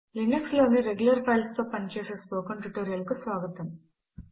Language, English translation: Telugu, Welcome to this spoken tutorial on working with regular files in Linux